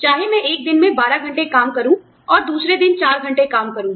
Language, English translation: Hindi, Whether, i put in 12 hours of work on one day, and four hours of work on the other day